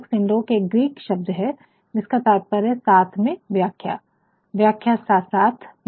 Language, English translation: Hindi, Synecdoche is a Greek word that actually have the meaning like 'interpreting together', Interpreting alongside